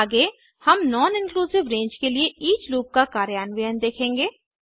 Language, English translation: Hindi, Next we shall look at implementing the each loop for a non inclusive range